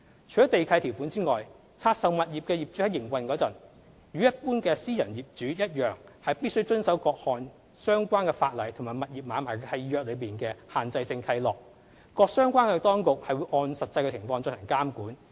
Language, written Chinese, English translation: Cantonese, 除了地契條款之外，拆售物業的業主在營運時，與一般私人業主一樣必須遵守各項相關法例及物業買賣契約內的限制性契諾，各相關當局會按實際情況進行監管。, Apart from the land lease conditions owners of divested properties must in the same manner as other private property owners abide by the relevant statutory requirements and the restrictive covenants contained in the assignment deeds of the properties during the operation of such properties whereas the government departments concerned would carry out supervision in the light of the actual circumstances